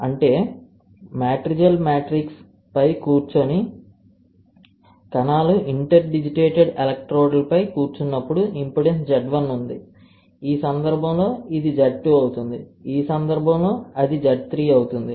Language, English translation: Telugu, That means, the matrigel is sitting on matrigel with cells are sitting on the interdigitated electrodes when that happens there is impedance Z 1, in this case it will Z 1, in this case it will be Z 2, in this case it will be Z 3; Z 1, Z 2, Z 3, ok